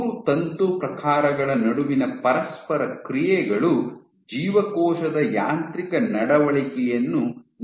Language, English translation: Kannada, So, interactions between the 3 filament types determine the mechanical behavior of the cell